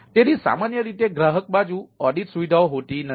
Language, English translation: Gujarati, so, ah, there are usually no customer side audit facility